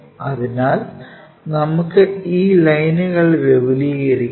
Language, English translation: Malayalam, So, let us extend that, similarly extend this line